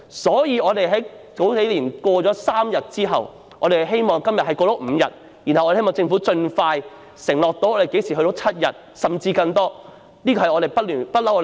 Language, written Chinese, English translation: Cantonese, 所以，繼數年前成功爭取3天侍產假後，我們希望今天能夠爭取增加至5天，進而希望政府盡快承諾可以增加至7天甚至更多，這是工聯會一直以來的要求。, Therefore after succeeded in securing a paternity leave of three days few years ago we seek to increase it to five days today and then further request the Government to expeditiously undertake to increase it to seven days or even more . This is the longstanding request of FTU